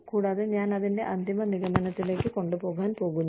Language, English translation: Malayalam, And, I am going to take it, to its final conclusion